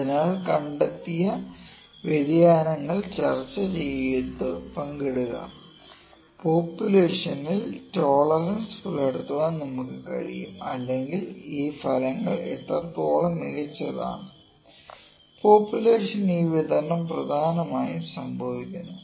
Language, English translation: Malayalam, So, do the variations found and share that, so we can meet tolerances a population as a whole or how good are this results what essentially is happening this distributions for the whole population